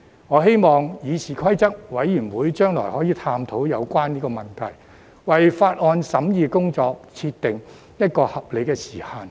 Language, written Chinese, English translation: Cantonese, 我希望議事規則委員會將來可以探討有關問題，為法案審議工作設定一個合理時限。, I hope the Committee on Rules of Procedure will explore the relevant issue in the future and set a reasonable time limit for the scrutiny of Bills